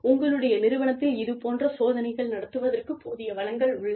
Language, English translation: Tamil, And, whether your organization, has the resources, to conduct, these kinds of tests